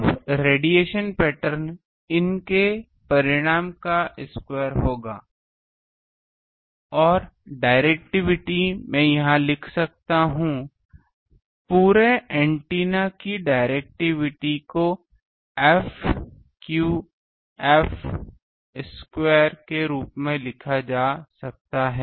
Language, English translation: Hindi, Now, radiation pattern will be square of the magnitude square of these, and directivities can I write here that; directivity of the whole array antenna can be written as f theta phi square ok